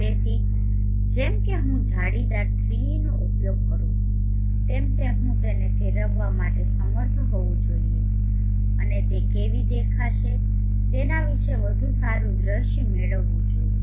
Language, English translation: Gujarati, So as I use the mesh 3d I should be able to rotate it and just get a much better view of how it would look